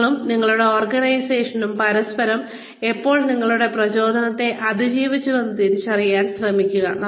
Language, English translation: Malayalam, Try to recognize, when, you and your organization, have outlived your utility, for each other